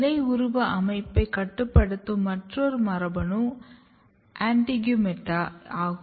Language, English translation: Tamil, Another genes which are known to regulate leaf morphology is AINTEGUMETA